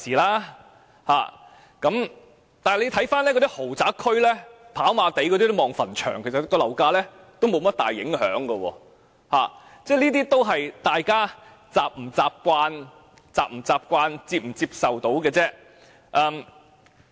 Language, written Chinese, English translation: Cantonese, 但是，大家看看那些豪宅區，例如跑馬地可看到墳場，對樓價卻沒有甚麼大影響，只視乎大家是否習慣，以及能否接受而已。, Nevertheless consider the luxurious flats in districts such as Happy Valley the views of cemeteries have not affected their prices in any significant way . It is only a matter of whether people are accustomed to the views and whether they can accept them